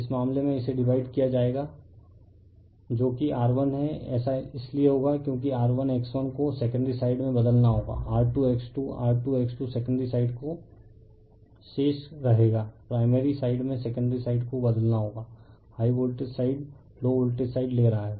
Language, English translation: Hindi, In this case it will be divided that is R 1 dash will be that is because R 1 X 1 you have to transform to the secondary side not R 2 X 2, R 2 X 2 will remaining the secondary side all the in primary side your transforming the secondary side there is high voltage side you are taking the low voltage side